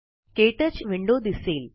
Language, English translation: Marathi, The KTouch window appears